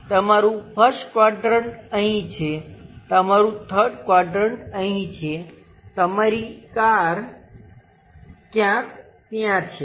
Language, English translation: Gujarati, Your 1st quadrant is here, your 3rd quadrant is here, perhaps your car is located somewhere there